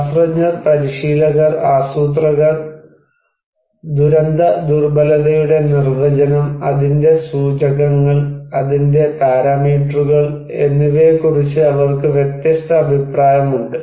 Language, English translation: Malayalam, So, scientists, practitioners, planners, they have different opinion about the definition of disaster vulnerability, its indicators, its parameters